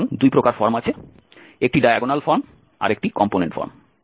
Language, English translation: Bengali, So there are two forms one is the diagonal form another one is the component form